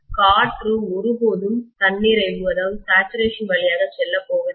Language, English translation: Tamil, Air is never going to go through saturation absolutely